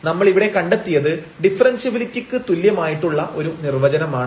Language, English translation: Malayalam, And that is precisely the definition of the differentiability